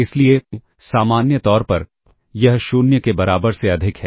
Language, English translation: Hindi, So, therefore, in general it is greater than equal to 0